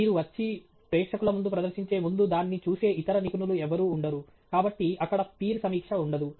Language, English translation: Telugu, There are no three experts who look at it first before you come and present it in front of the audience; so, there is no peer review there